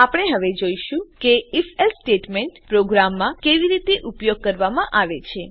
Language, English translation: Gujarati, We will now see how the If…else statementcan be used in a program